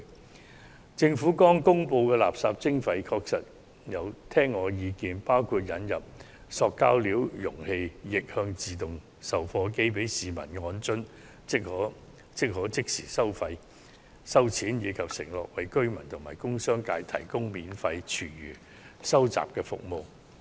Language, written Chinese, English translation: Cantonese, 就政府剛公布的垃圾徵費計劃，依我的意見，應同時引入塑料容器逆向自動售貨機供市民使用，那便可即時收費，此外亦應承諾為居民及工商界提供免費廚餘收集服務。, With regard to the waste charging scheme just announced by the Government in my opinion the Government should introduce reverse vending machines for plastic containers concurrently for public use to facilitate instant collection of relevant charges and it should also undertake to provide free collection of food waste from residential commercial and industrial sources